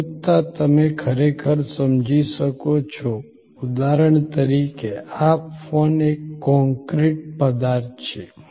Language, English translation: Gujarati, Abstractness you can really understand there is for example, this phone is an concrete object